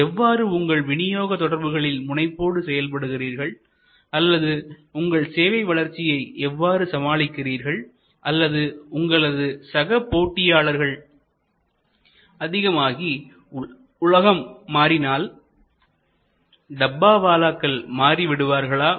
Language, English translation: Tamil, That how do you ensure the robustness of this distribution network or how do you deal with growth or what is going to happen, if you have more competitors and the world is changing, will the Dabbawalas change